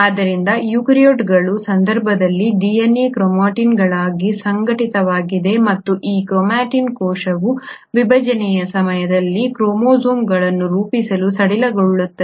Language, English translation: Kannada, So the DNA in case of eukaryotes is organised into chromatins, and this chromatin will loosen up to form chromosomes at the time of cell division